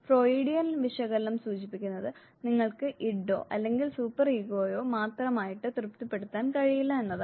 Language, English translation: Malayalam, What Freudian analysis suggests is that you cannot keep on satisfying only the Id or only the Super ego